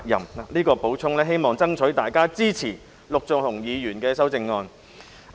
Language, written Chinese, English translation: Cantonese, 我作出這點補充，希望爭取到大家支持陸頌雄議員的修正案。, With this additional point I hope that I can persuade Members to support Mr LUK Chung - hungs amendment